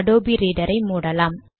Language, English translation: Tamil, So we close the Adobe Reader